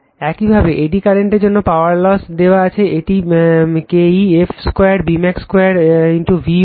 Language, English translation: Bengali, Similarly, for eddy current power loss is given by it is K e f square B max square into V watt